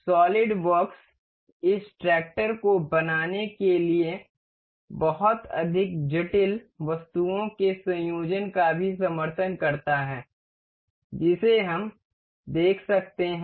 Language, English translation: Hindi, Solidworks also supports assembly of far more complicated items like to build this tractor we can see